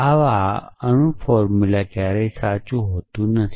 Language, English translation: Gujarati, So, such a atomic formula can never be true essentially